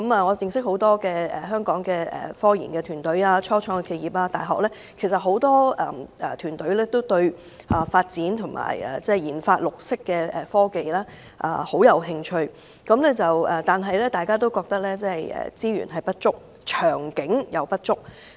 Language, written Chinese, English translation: Cantonese, 我認識很多香港科研團隊、初創企業和大學，很多團隊均對研發綠色科技甚感興趣，但大家都認為資源和長遠願景也不足。, I know many research and development RD teams in Hong Kong as well as start - ups and universities here . Many of them are very interested in developing green technologies but they say that there is not enough resources and no long - term vision